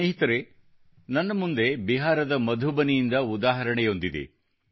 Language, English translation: Kannada, before me is an example that has come from Madhubani in Bihar